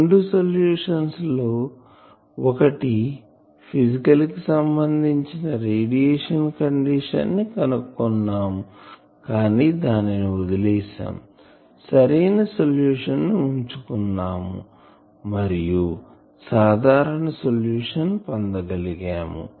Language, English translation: Telugu, So, we have found the solutions out of two solutions, one we have physical consideration radiation condition from that we have discarded, we have kept the valid solution and we have found the general solution